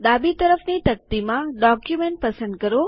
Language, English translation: Gujarati, In the left pane, select Document